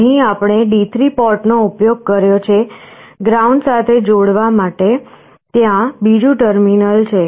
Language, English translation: Gujarati, Here we have used the D3 port, there is another terminal to connect to ground